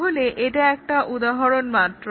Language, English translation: Bengali, Let us see the example